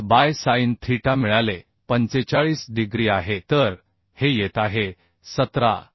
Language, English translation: Marathi, 5 by sin theta is sin 45 degree so this is coming 17